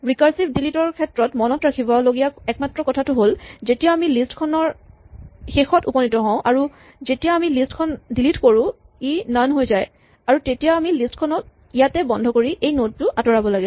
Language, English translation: Assamese, The only thing to remember about recursive delete is when we reach the end of the list and we have deleted this list this becomes none then we should terminate the list here and remove this node